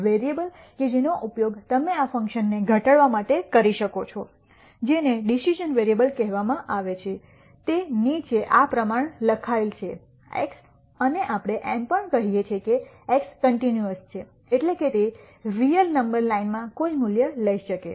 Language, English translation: Gujarati, And the variable that you can use to minimize this function which is called the decision variable is written below like this here x and we also say x is continuous, that is it could take any value in the real number line